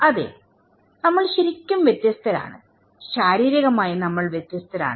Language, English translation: Malayalam, Yes, we are different well, physically we are different